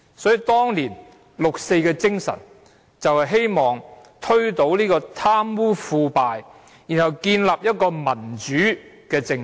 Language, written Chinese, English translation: Cantonese, 所以，當年六四的精神就是希望推倒貪污腐敗，然後建立一個民主政制。, Thus the spirit of the 4 June movement was to combat corruption and underhand dealings and establish a democratic political system